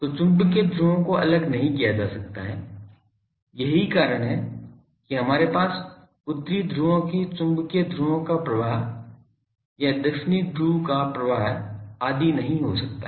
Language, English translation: Hindi, So, magnetic poles they cannot be separated, that is why we cannot have a flow of magnetic poles flow of north poles or flow of south poles etc